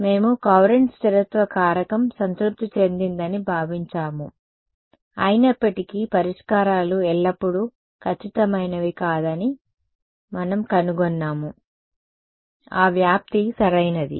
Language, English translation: Telugu, We assumed Courant stability factor is being satisfied, still we found that solutions were not always accurate, what was that dispersion right